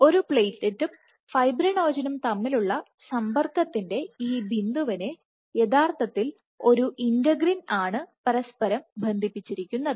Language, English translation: Malayalam, So, at this point of contact between a platelet and the fibrinogen you actually have an integrin connection,